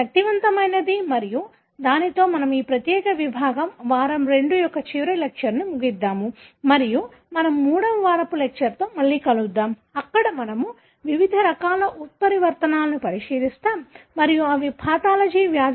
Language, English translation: Telugu, So that’s that powerful and with that we will be ending the last lecture of this particular section, week II and we will be meeting again in the third week lectures, where we will be looking into various different types of mutations and how they may contribute to the disease pathology